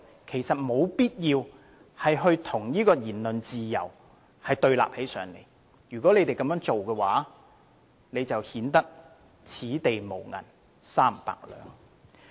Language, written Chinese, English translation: Cantonese, 其實並無必要把反對宣揚"港獨"與言論自由對立，這樣做只會顯得"此地無銀三百兩"。, In fact there is no need to pitch opposition to advocacy of Hong Kong independence against freedom of speech . Such an overreaction will only give themselves away